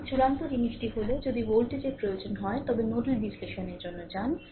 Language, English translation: Bengali, So, ultimate thing is, if voltage are required, then you go for nodal analysis